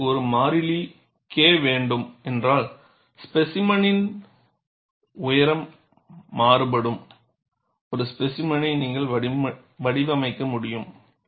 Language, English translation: Tamil, We have seen, if you want to have a constant K, you could design a specimen where the height of the specimen varies